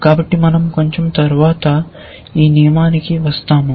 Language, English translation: Telugu, So, we will come to rule a bit later